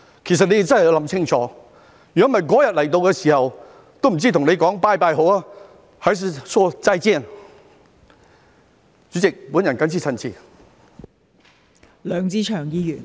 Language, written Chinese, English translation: Cantonese, 其實你們真的要想清楚，否則那天到來的時候，也不知道應該跟你們說"拜拜"好，"還是說'再見'。, In fact you really have to think carefully . Otherwise when that day comes I wonder if I should say goodbye or zaijian to you